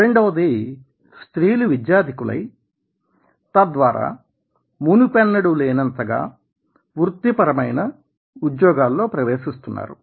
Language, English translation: Telugu, second is that the more female employees are entering into higher education and subsequently into professional jobs then never before